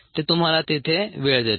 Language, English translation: Marathi, that gives you the time there